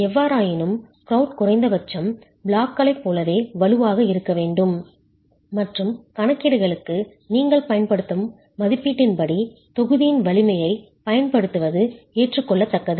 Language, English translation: Tamil, However, with the requirement that the grout is at least as strong as the block and using the strength of the block as the value that you will use for calculations is acceptable